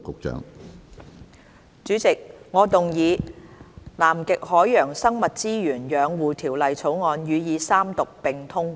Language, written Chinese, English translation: Cantonese, 主席，我動議《南極海洋生物資源養護條例草案》予以三讀並通過。, President I now report to the Council That the Conservation of Antarctic Marine Living Resources Bill has been passed by committee of the whole Council with amendments